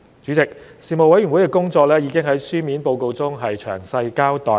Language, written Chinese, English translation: Cantonese, 主席，事務委員會的工作已在書面報告中詳細交代。, President a detailed account of the work of the Panel can be found in the written report